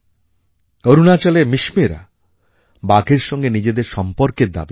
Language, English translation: Bengali, Mishmi tribes of Arunachal Pradesh claim their relationship with tigers